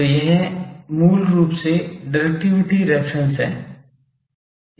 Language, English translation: Hindi, So, this is basically the directivity reference